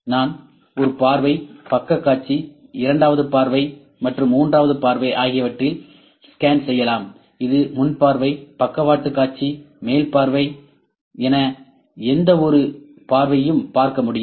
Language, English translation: Tamil, I can scan it form one view, side view, second view and third view ok, that is front view, side view, top view any view I can think this see